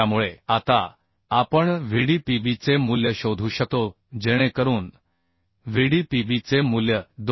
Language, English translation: Marathi, 57 So now we can find out the value of Vdpb so the Vdpb value will become 2